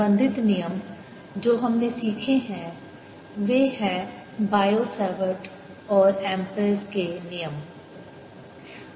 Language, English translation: Hindi, the related laws that we learnt are bio, savart and amperes law